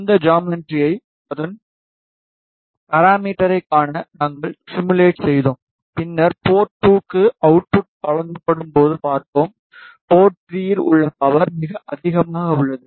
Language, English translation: Tamil, We simulated this design to see its parameter, and then we saw when the output is given to port 2the power at port 3 is very high